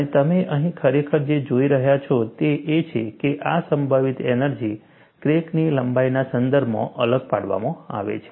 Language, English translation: Gujarati, And, what you are actually seeing here is, this potential energy is differentiated with respect to the crack length